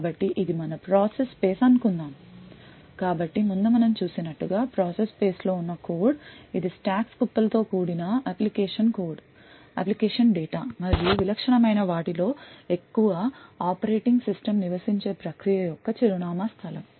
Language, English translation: Telugu, So let us say that this is our process space so as we have seen before the process space has the code that is the application code application data comprising of stacks heaps and so on and higher in the typical address space of a process is where the operating system resides